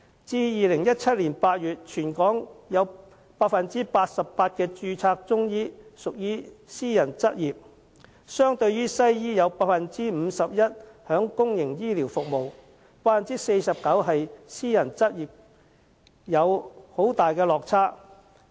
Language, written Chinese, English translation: Cantonese, 至2017年8月，全港有 88% 的註冊中醫屬私人執業，相對於西醫有 51% 在公營醫療服務及 49% 私人執業，有很大落差。, As at August 2017 88 % of registered Chinese medicine practitioners is in private practice and this is in stark contrast with the case of western medicine doctors among which 51 % is in public health care practice and 49 % in private practice